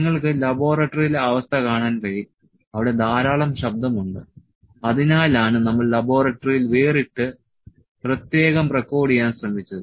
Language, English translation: Malayalam, So, you can see in laboratory condition there is a lot of noise that is why we have try to record separate in the laboratory